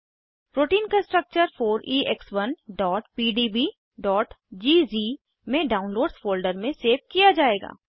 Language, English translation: Hindi, The structure of protein will be saved as 4EX1.pdb.gz, in the Downloads folder